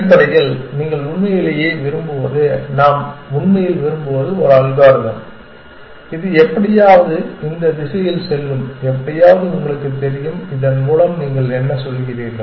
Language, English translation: Tamil, Essentially, what you really want what we really want is an algorithm which would somehow head in this direction somehow you know what do you mean by this